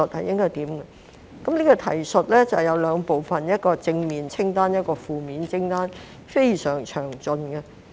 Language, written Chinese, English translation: Cantonese, 這提述包括兩部分：第一是正面清單，第二是負面清單，非常詳盡。, 1 . The reference which includes two parts of firstly the positive list and secondly the negative list is very detailed